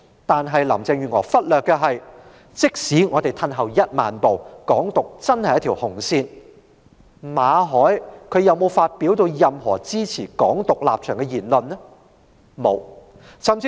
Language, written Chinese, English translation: Cantonese, 但是，林鄭月娥忽略了的是，即使我們退一萬步，"港獨"真的是一條紅線，馬凱有否發表任何支持"港獨"的言論呢？, However Carrie LAM has neglected the fact that even if we take 10 000 steps backward Hong Kong independence is really a red line . Has Victor MALLET made any remarks in support of Hong Kong independence?